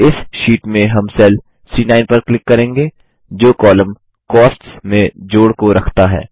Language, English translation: Hindi, In this sheet, we will click on the cell C9 which contains the total under the column Cost